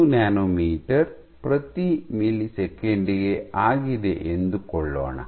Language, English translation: Kannada, 05 nanometer per millisecond